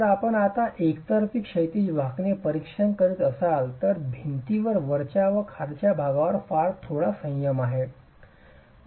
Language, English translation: Marathi, If now you were to examine one way horizontal bending that the wall has very little restraint at the top and the bottom